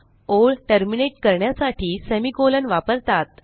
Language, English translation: Marathi, semi colon is used to terminate a line